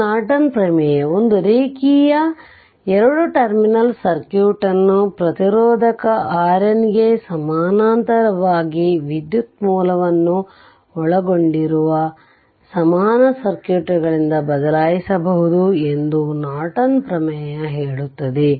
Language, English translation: Kannada, So, Norton theorem states that a linear 2 terminal circuit can be replaced by an equivalent circuits consisting of a current source i N in parallel with a resistor R n